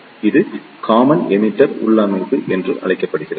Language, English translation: Tamil, So, this is known as the common collector configuration